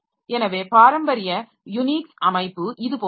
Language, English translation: Tamil, So, traditional Unix structure is like this